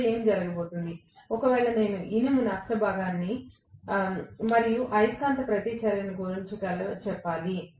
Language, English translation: Telugu, Now, what is going to happen, if, of course, I have to include the iron loss component and the magnetizing reactance as well